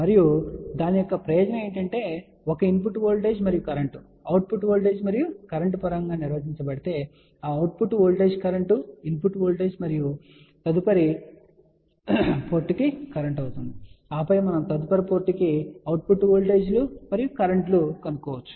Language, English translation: Telugu, And the benefit of that is that for one network if this input voltage and current is defined in terms of output voltage and current then that output voltage current becomes input voltage and current for the next port, and then we can find the next to next port output voltages and currents